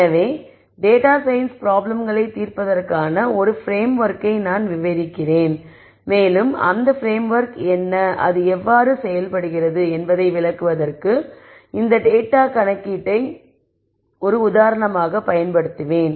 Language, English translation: Tamil, So, I will describe a framework for solving data science problems and use this data imputation as an example to explain what that framework is and how does it work